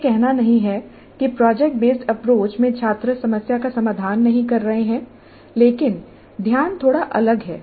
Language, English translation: Hindi, This is not to say that in project based approach the students are not solving the problem but the focus is slightly different